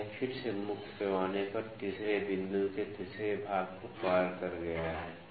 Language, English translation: Hindi, So, it has again exceeded the third point third division on the main scale